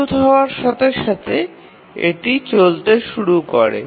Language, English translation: Bengali, And as soon as it becomes ready, it starts running